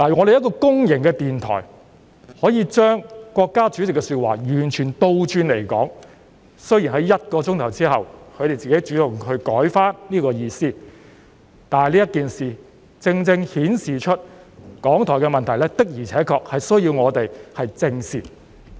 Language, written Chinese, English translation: Cantonese, 一個公營電台竟然將國家主席的說話完全倒過來說，雖然他們在1小時後主動修改，但這件事正正顯示出港台的問題，我們的確需要正視。, To our surprise a publicly - run radio station reported the remarks of the State President in a completely opposite way . Although they took the initiative to amend it after an hour this incident has precisely revealed the problem of RTHK which indeed warrants our serious attention